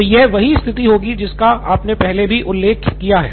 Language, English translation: Hindi, So this would be a situation where you have already mentioned